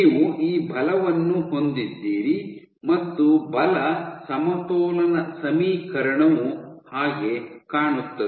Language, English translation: Kannada, You have these forces and the force balance equation looks something like that